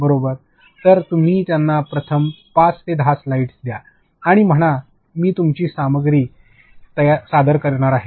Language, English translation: Marathi, So, you give them the first five to ten slides and say I am going to present your content